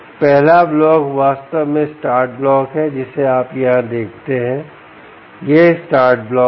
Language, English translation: Hindi, the first block, indeed, is the start block, which you see here